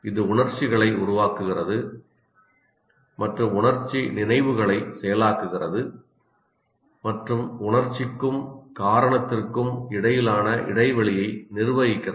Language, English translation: Tamil, It generates emotions and processes emotional memories and manages the interplay between emotional reason